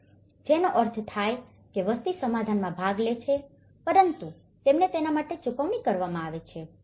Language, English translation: Gujarati, So, which means the population does participate in the settlement but they are paid for it